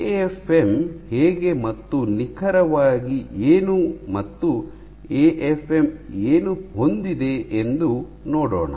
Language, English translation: Kannada, So, let us see how what exactly is an AFM and what does an AFM have